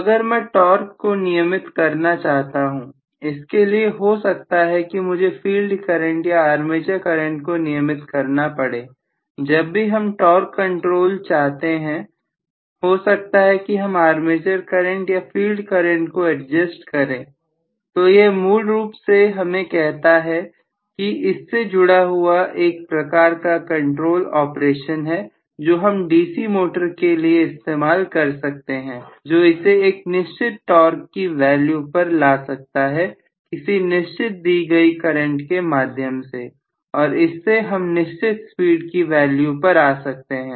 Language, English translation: Hindi, So, if I want to adjust the torque I might like to adjust my field current or armature current as the case may be, so whenever I want a torque control I might adjust my armature current or field current, so this essentially tells me there is some kind of control operations I can incorporate in to the DC motor to arrive at the required value of torque required value of current and so on required value of speed and so on